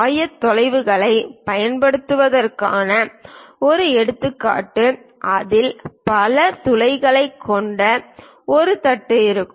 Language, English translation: Tamil, Let us consider a example of using coordinates would be for a plate that has many holes in it